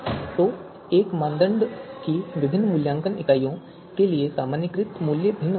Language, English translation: Hindi, So the normalized value could be different for different evaluation units of a criterion